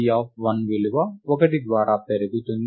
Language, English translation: Telugu, Then the value C of 1 is incremented by 1